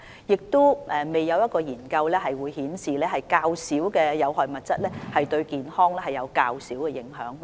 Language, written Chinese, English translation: Cantonese, 而且，現時亦未有研究顯示，有關吸煙產品所含的有害物質較少就對健康有較少的影響。, Moreover no study results show that fewer harmful substances in tobacco products would cause fewer hazards to health